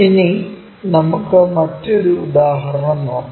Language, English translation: Malayalam, Now, let us look at another example